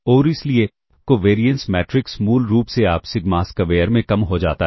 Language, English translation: Hindi, And therefore, the covariance matrix basically, you can see reduces to sigma square